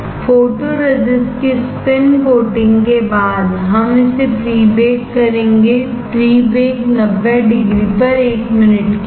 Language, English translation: Hindi, After spin coating photoresist we will pre bake it, pre baked 90 degree 1 minute